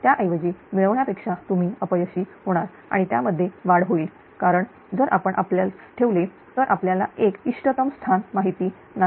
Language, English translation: Marathi, Then instead of gaining you will be loser also may also increase also because if you put in you know not an optimal place